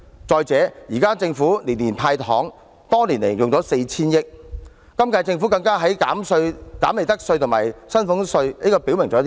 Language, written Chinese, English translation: Cantonese, 再者，政府年年"派糖"，多年間已用了 4,000 億元，今屆政府更減利得稅和薪俸稅，這表明甚麼？, Besides the Government has already spent some 400 billion for handing out sweeteners year after year and the incumbent Government even reduces profits tax and salaries tax . What does that tell us?